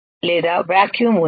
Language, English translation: Telugu, Or there is a vacuum